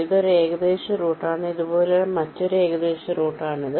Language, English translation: Malayalam, this is another approximate route like this